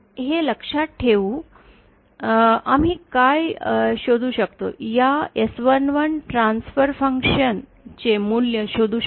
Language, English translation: Marathi, So, with this in mind, we can find out what are the, we can find out the value for this S 11 transfer function